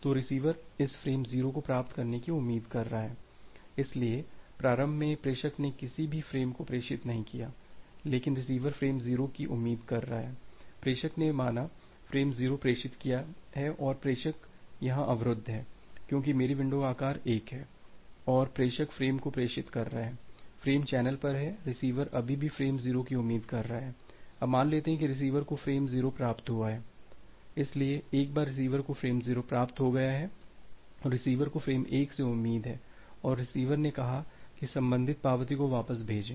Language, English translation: Hindi, Now, sender has transmitted say frame 0 and the sender is blocked here because my window size is 1 and sender is transmitting the frame, the frame is on the channel, receiver is still expecting frame 0, now say receiver has received frame 0